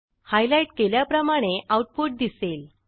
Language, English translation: Marathi, The output displayed is as highlighted